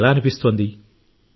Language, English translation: Telugu, How are you feeling